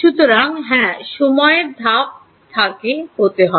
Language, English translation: Bengali, So, yeah, the time step has to be